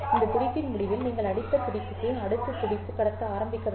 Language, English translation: Tamil, At the end of this pulse, you have to begin transmitting the next pulse, or the next bit